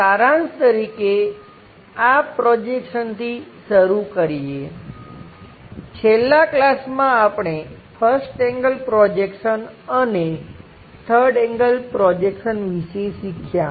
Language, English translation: Gujarati, Just to begin with these projections as a summary, in the last classes we have learnt something about first angle projections and third angle projections